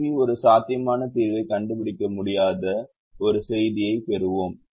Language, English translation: Tamil, when we solve here we will get a message that solver could not find a feasible solution